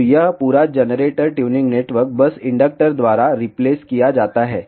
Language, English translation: Hindi, So, this entire generator tuning network is simply replaced by an inductor